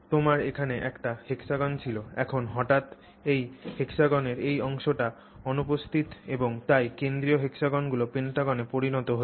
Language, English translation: Bengali, This part of that hexagon is missing and therefore that central hexagon has become a pentagon